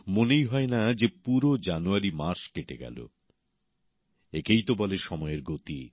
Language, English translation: Bengali, It just doesn't feel that the entire month of January has passed by